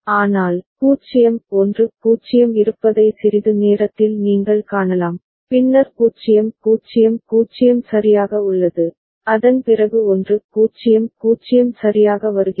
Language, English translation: Tamil, But, momentarily you can see that 0 1 0 is there, and then 0 0 0 is there right, after that 1 0 0 is coming right